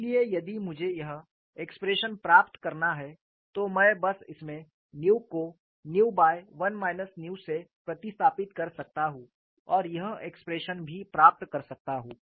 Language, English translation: Hindi, So, if I have to get this expression, I can simply substituted nu as nu by 1 minus nu in this and get this expression also